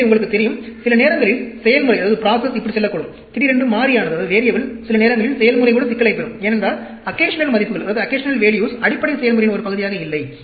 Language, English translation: Tamil, So, sometimes, the process may go like this, you know, suddenly the variable, sometimes the process will get the problem, as occasional values that are clearly not a part of the basic process